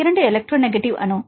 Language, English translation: Tamil, 2 electronegative atom